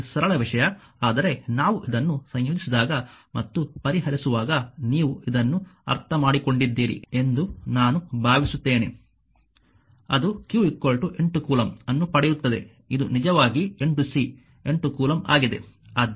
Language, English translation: Kannada, This simple thing, but I hope you have understood this right when you will integrate and solve it you will get q is equal to 8 coulomb this is actually 8 c 8 coulomb right